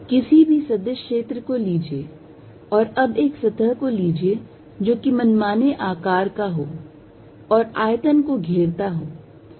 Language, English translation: Hindi, Take any vector field and now take a surface which is of arbitrary shape and encloses the volumes, this is the volume